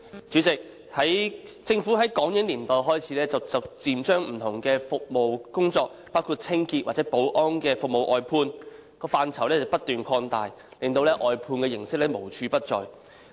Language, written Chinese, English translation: Cantonese, 主席，政府自港英年代開始逐漸將不同的工作，包括清潔或保安服務外判，範疇不斷擴大，令外判形式無處不在。, President since the Hong Kong - British era the Government has gradually outsourced various types of work including cleaning and security services and continued expanding the scope of service outsourcing making outsourcing prevalent in all quarters of society